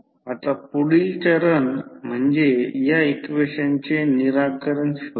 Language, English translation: Marathi, Now, the next step is the finding out the solution of these equation